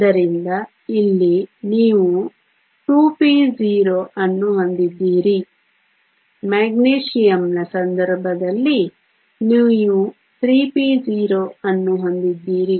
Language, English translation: Kannada, So, here you have a 2 p 0 in the case of Magnesium you have a 3 p 0